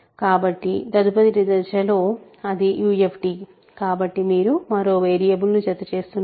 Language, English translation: Telugu, So, in the next stage you are adding one more variable it is a UFD